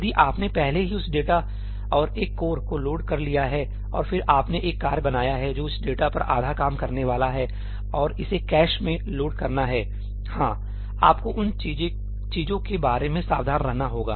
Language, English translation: Hindi, If you have already loaded that data and one core and then you have creating a task which is going to work on half that data and it is going to have to reload it in the cache yeah, you have to be careful about to those things